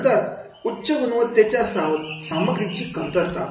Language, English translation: Marathi, Then lack of high quality content